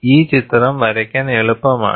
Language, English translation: Malayalam, And this picture is easier to draw